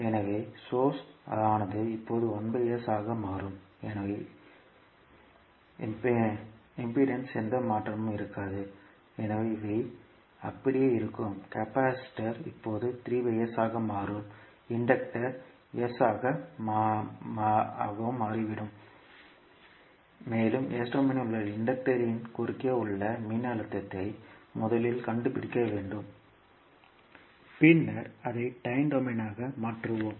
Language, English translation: Tamil, So source will now become 1 by S there will be no change in the resistances so these will remain same, capacitor has now become 3 by S and inductor has become S and we need to find out first the voltage across the inductor in s domain and then we will convert it into time domain